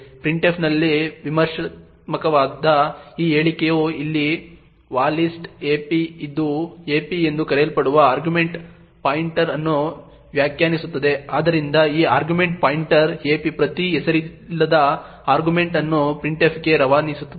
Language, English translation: Kannada, Critical in printf is this statement over here va list ap which defines an argument pointer known as ap, so this argument pointer ap points to each unnamed argument that is passed to printf